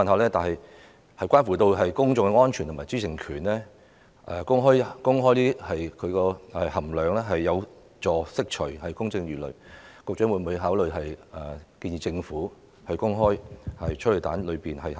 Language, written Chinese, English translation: Cantonese, 由於關乎公眾安全和知情權，公開催淚彈成分有助釋除公眾疑慮，我想問局長會否考慮建議政府公開催淚彈的成分呢？, Since it is a matter of public safety and right to access of information making the content of tear gas public will be conducive to the removal of public doubts . May I ask the Secretary whether he will consider suggesting the Government making public the content of tear gas canisters?